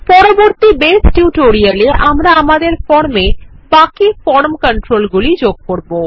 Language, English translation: Bengali, In the next part of the Base tutorial, we will continue adding the rest of the form controls to our form